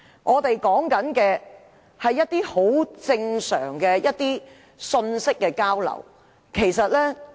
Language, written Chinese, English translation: Cantonese, 我們所要求的是一些很正常的信息交流。, We are just asking for some normal communication